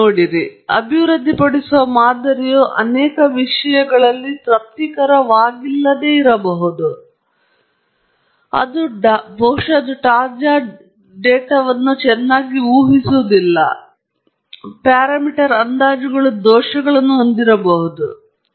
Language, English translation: Kannada, It is very likely that the model that we develop is not satisfactory in many respects, maybe it’s not predicting well on a fresh data, may be the parameter estimates have large errors in them and so on